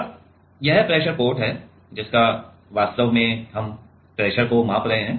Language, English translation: Hindi, Now, this is the pressure port of which actually, we are measuring the pressure